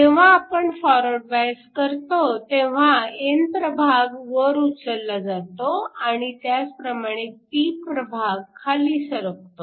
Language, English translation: Marathi, When we forward bias the n region is shifted up and similarly the p region is shifted down